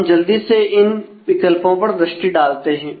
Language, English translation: Hindi, So, let us quickly take a look at these options